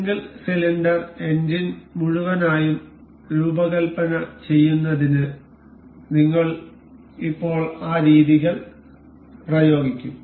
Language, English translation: Malayalam, Now, we will apply those methods in designing one full product that is single cylinder engine